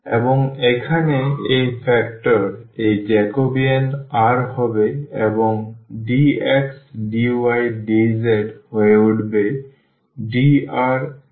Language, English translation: Bengali, And, this factor here this Jacobian will be r and dx d yd dz will become dr d phi and dz